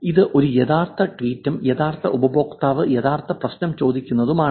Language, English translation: Malayalam, This is a real tweet and real customer asking for real problem